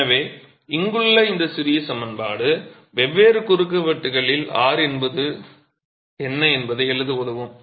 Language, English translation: Tamil, So, this little expression here is going to help us write down what is R at different cross sections